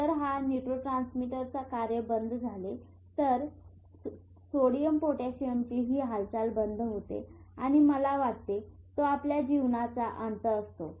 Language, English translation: Marathi, If this neurotransmitter business shuts off, if this movement of sodium potassium shuts down, I think that is death